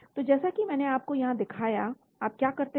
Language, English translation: Hindi, so as I showed you here, what you do